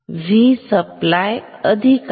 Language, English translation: Marathi, V supply positive